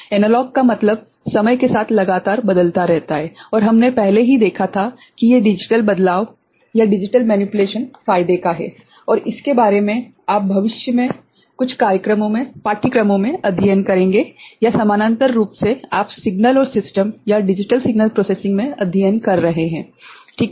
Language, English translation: Hindi, Analog means continuously varying with time and we had already seen that these digital manipulation is of advantage and more about it you will study in some future courses or parallely you are studying in signals and systems or digital signal processing, right